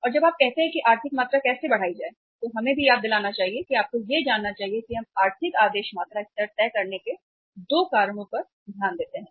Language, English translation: Hindi, And when you say that how to work out the economic quantity, let us recall that also and you must be knowing it that we take into consideration 2 cause for deciding the economic order quantity level